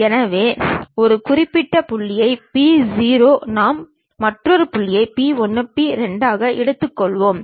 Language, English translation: Tamil, So, as a reference point P0 we will take other point is P 1, P 2